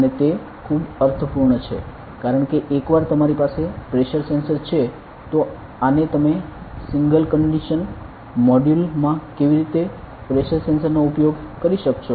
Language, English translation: Gujarati, And it makes a lot of sense because once you have pressure sensor how you will be using this in a single condition module to use the pressure sensor